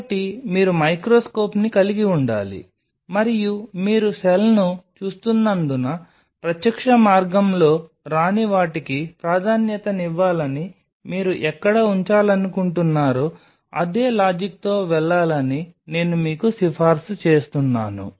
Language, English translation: Telugu, So, you have to have a microscope and I will recommend you going by the same logic where you want to put it prefer something which is not coming in the direct way, because you are viewing the cell